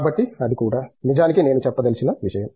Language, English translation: Telugu, So that also, in fact that was something that I want to touch upon